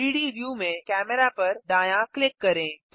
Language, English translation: Hindi, Right click Camera in the 3D view